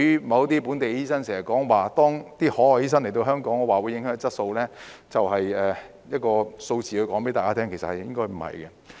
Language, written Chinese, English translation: Cantonese, 某些本地醫生經常說，海外醫生來港會影響質素，上述例子足以告訴大家，實情應該不是這樣。, Some local doctors have often claimed that OTD admission would affect the overall quality of doctors . The above case shows us that the reality is otherwise